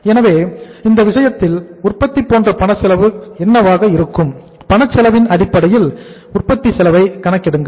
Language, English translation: Tamil, So in this case what is going to be the cash cost like say uh manufacturing, calculate the manufacturing cost on the basis of the cash cost